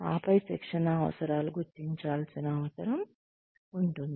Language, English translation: Telugu, And then, the training needs, need to be figured out